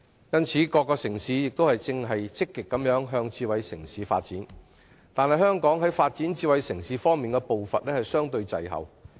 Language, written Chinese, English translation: Cantonese, 因此，各城市現在均積極朝着智慧城市方向發展，但香港在發展智慧城市的步伐卻相對滯後。, As such various cities are now pursuing development in the direction of smart city development . Nevertheless Hong Kong is relatively speaking lagging behind others in its pace of smart city development